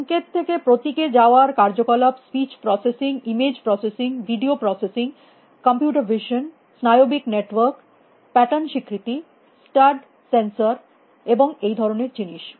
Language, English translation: Bengali, Signal to symbol kind of activities, speech processing, image processing, video processing, computer vision, neural networks, pattern recognition, studs sensors and that kind of thing